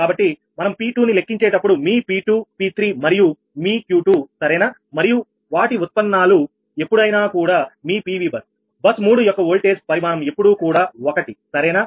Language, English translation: Telugu, so when we are calculating p two, ah your p two, p three and ah your q two, right and its derivative, all the time that ah your pv, bus, bus three, voltage magnitude is always one in that right